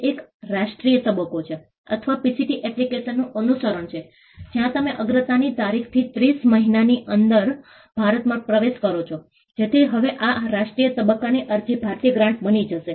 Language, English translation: Gujarati, It is a national phase, or the follow up of a PCT application, where you enter India within 30 months from the date of priority, so that, this national phase application will now become an Indian grant